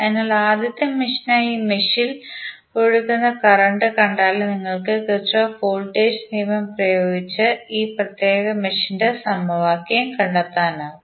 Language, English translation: Malayalam, So, for first mesh if you see the current which is flowing in this particular mesh you can apply Kirchhoff Voltage Law and find out the governing equation of this particular mesh